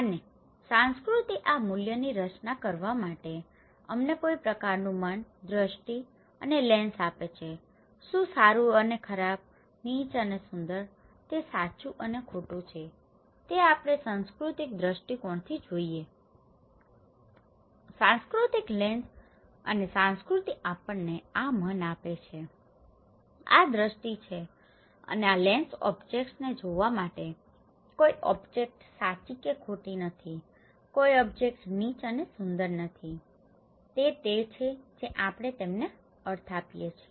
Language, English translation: Gujarati, And culture create these values to give us some kind of mind, vision and lens so, what is good and bad, ugly and beautiful, right and wrong this is we see from cultural perspective, cultural lens and culture gives us this mind, this vision and this lens to see the objects, no object is right or wrong, no object is ugly and beautiful, it is that we which we give the meaning to them right